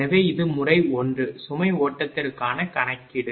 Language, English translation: Tamil, So, this is the calculation for method 1 load flow